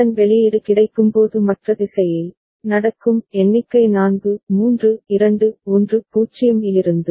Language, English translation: Tamil, And borrow output will be happening in the other direction when it is getting the count is from 4 3 2 1 0